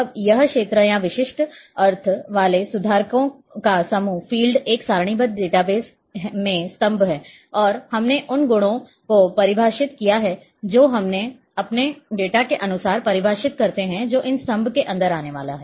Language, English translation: Hindi, So, now, this a fields or group of correctors with specific meaning, these fields are columns in a tabular database and these we defined the properties we define according to our data which is going to come inside these columns